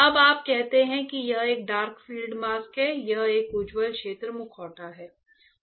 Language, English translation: Hindi, Now you say it is a dark field mask; this is a bright field mask